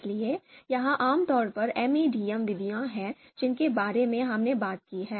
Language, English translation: Hindi, So this is typically the you know the MADM methods that we have talked about